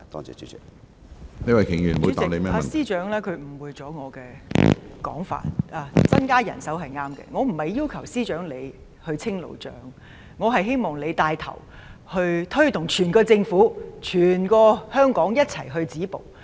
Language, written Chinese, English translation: Cantonese, 主席，司長誤會了我的說話，增加人手是正確的，但我不是要求司長清理路障，我是希望司長牽頭推動整個政府、整個香港一起止暴。, President the Chief Secretary for Administration has misunderstood my words . It is a correct move to increase manpower but I am not requesting the Chief Secretary for Administration to clear the barricades . I hope the Chief Secretary will take the lead in motivating the whole Government and the entire Hong Kong to stop violence in unison